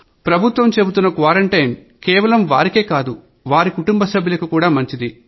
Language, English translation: Telugu, Everyone should know that government quarantine is for their sake; for their families